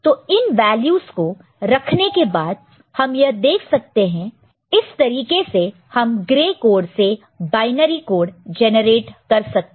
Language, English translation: Hindi, So, we can again put those values and can see this is the way simply you can get the binary code generated from the gray code, ok